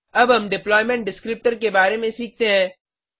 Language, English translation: Hindi, Now let us learn about what is known as Deployment Descriptor